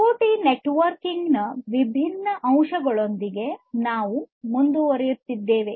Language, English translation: Kannada, We will continue with the different other aspects of networking in IoT